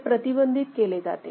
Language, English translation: Marathi, So, those can be prevented